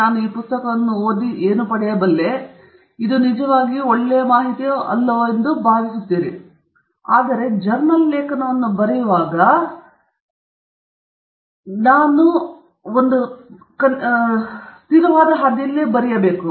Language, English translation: Kannada, I read this book, it felt really good; so, when I write a journal article, for it to be good, I should write along those lines